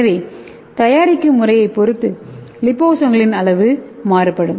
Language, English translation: Tamil, And the sizes of the liposomes are determined by the preparation methods